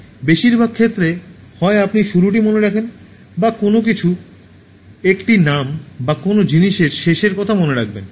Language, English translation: Bengali, In most of the cases, either you remember the beginning, or you remember the end of something, a name or a thing